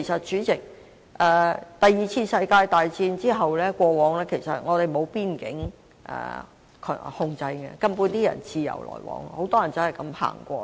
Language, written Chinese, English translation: Cantonese, 主席，第二次世界大戰後，我們其實並無邊境控制，人們可以自由往來。, President after World War II there is actually no border control and people can come and go freely